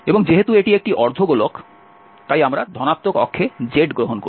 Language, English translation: Bengali, And since it is a hemisphere we are taking z in the positive axis